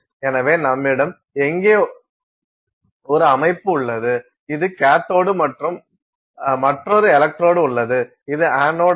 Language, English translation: Tamil, So, you have a system here which is the cathode and there is another electrode which is the anode; so, we have like that